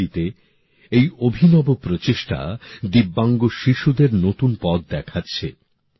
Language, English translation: Bengali, This unique effort in Bareilly is showing a new path to the Divyang children